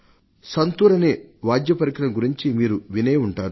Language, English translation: Telugu, You must have heard of the musical instrument called santoor